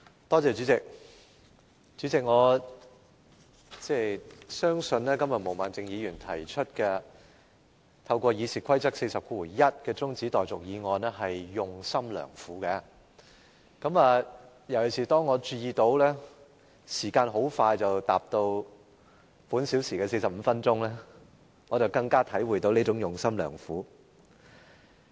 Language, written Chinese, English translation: Cantonese, 代理主席，我相信，毛孟靜議員今天根據《議事規則》第401條提出現即將辯論中止待續的議案，實在是用心良苦，特別是當我注意到，時間很快便即將達到今個小時的45分鐘，我便更加體會到她的用心良苦。, Deputy President I believe Ms Claudia MOs moving of this adjournment motion under Rule 401 of the Rules of Procedure is certainly well - meaning . As I notice that the 45 minute of this hour is fast approaching I can see and feel her good intention especially strongly